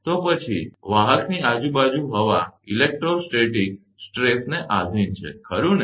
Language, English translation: Gujarati, Then the air surrounding the conductor is subject to electrostatic stresses, right